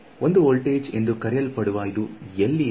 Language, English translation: Kannada, Where is it, known to be 1 voltage